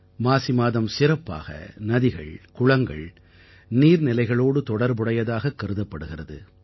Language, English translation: Tamil, The month of Magh is regarded related especially to rivers, lakes and water sources